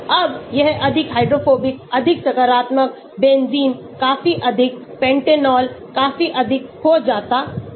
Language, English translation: Hindi, now this is becoming more hydrophobic more positive benzene quite high, pentanol quite high